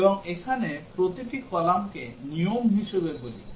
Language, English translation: Bengali, And each of these column here, we call it as a rule